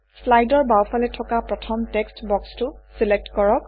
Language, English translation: Assamese, Select the first text box to the left in the slide